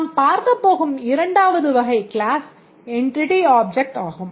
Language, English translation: Tamil, The second type of classes that we look for are the entity objects